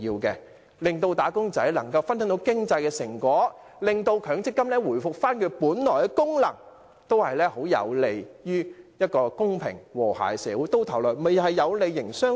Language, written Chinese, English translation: Cantonese, 讓"打工仔"能分享經濟成果，令強積金回復本來的功能，均有利於締造一個公平和諧的社會，最終也有利營商環境。, Allowing wage earners to share the fruits of the economy and restoring the original function of MPF are conducive to creating a fair and harmonious society and this will ultimately benefit the business environment